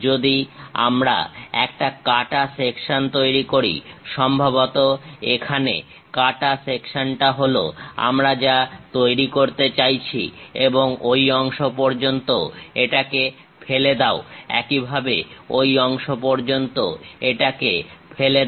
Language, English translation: Bengali, If we make a cut section; perhaps here cut section what we are trying to do is, up to that part remove it, similarly up to that part remove it